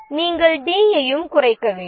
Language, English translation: Tamil, You need to reduce D as well